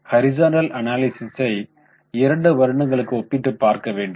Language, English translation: Tamil, So, in horizontal analysis what we do is we compare the two years